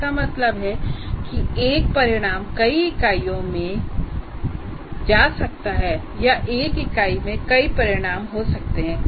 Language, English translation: Hindi, That means, my outcome may go across the units or one unit may have multiple outcomes and so on